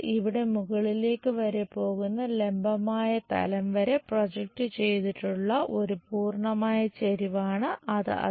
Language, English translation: Malayalam, This is a entire incline one projected onto vertical plane which goes all the way up here